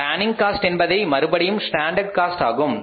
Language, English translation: Tamil, So, planning cost is the one which is the again the standard cost